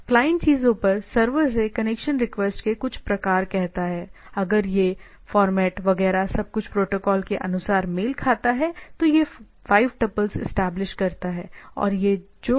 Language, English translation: Hindi, So, the client sends a say some sort of a connection request to the server server on things, if it is find the format, etcetera everything protocol wise matching, then establishes this 5 tuple